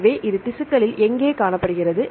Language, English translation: Tamil, So, where is it found in tissues